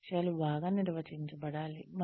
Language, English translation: Telugu, The goals are well defined